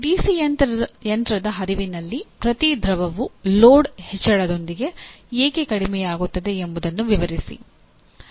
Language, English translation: Kannada, Explain why in a DC machine flux per pole decreases with increase in load